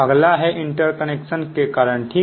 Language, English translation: Hindi, next is the reasons, ah, for interconnection